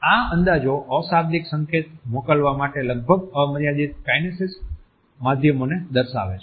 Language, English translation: Gujarati, These estimates highlight the nearly limitless kinesic means for sending nonverbal signals